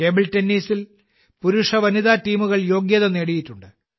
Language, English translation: Malayalam, Both men’s and women’s teams have qualified in table tennis